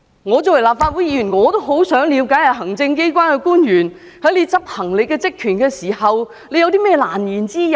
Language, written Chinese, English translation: Cantonese, 我作為立法會議員，也很想了解行政機關官員在執行職權時有何難言之隱。, As a Legislative Council Member I also want to know the unspeakable reasons of officials of the Executive Authorities when exercising their powers